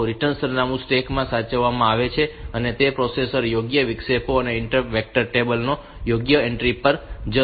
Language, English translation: Gujarati, So, return address is saved into the stack and it the processor will jump to the appropriate interrupts, appropriate entry in the interrupt vector table